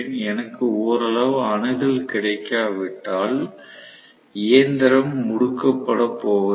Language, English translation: Tamil, So, unless I have some amount of access available the machine is not going to accelerate